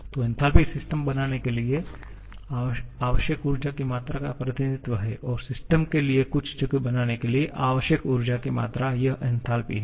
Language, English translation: Hindi, So, enthalpy is representative of the amount of energy needed to create the system+the amount of energy required to make some space for the system, this is enthalpy